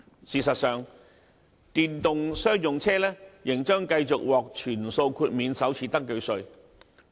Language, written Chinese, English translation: Cantonese, 事實上，電動商用車仍將繼續獲全數豁免首次登記稅。, In fact the first registration tax full waiver for electric commercial vehicles will continue